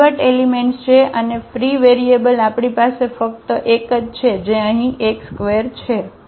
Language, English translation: Gujarati, These are the pivot elements and the free variable we have only one that is here x 2